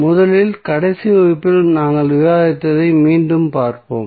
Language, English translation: Tamil, First, let us recap what we discussed in the last class